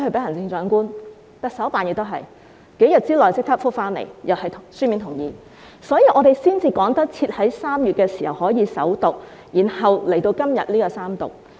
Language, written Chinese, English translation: Cantonese, 行政長官辦公室也一樣，在數天之內已回覆並發出書面同意，所以我們才能趕及在3月時首讀，然後在今天進行三讀。, Likewise the Office of the Chief Executive CEO also replied within a few days and issued the written consent . We were thus in time to introduce the Bill for First Reading in March and then the Third Reading today